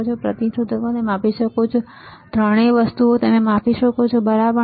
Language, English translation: Gujarati, You can measure resistors, all three things you can measure, right